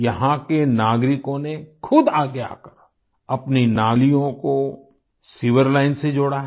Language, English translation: Hindi, The citizens here themselves have come forward and connected their drains with the sewer line